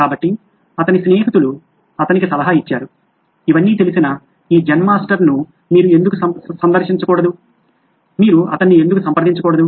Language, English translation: Telugu, So his friends counselled him and said why don’t you visit this Zen Master who seems to know it all, why don’t you approach him